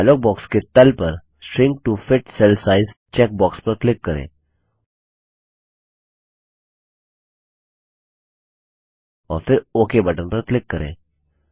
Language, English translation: Hindi, At the bottom of the dialog box, click on the Shrink to fit cell size check box and then click on the OK button